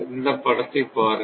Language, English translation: Tamil, Now, look at this diagram